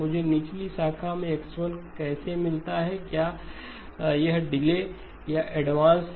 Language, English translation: Hindi, How do I get X1 in the lower branch, is it a delay or an advance